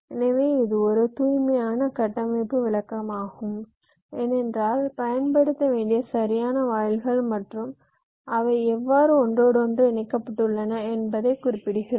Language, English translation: Tamil, so this is the pure structural description because we have specifying the exact gates to be used and how they are interconnected